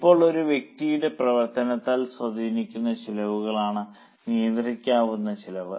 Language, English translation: Malayalam, Now, controllable costs are those costs which can be influenced by the action of a specific person